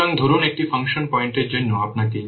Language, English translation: Bengali, That means per function point there can be 70 lines of code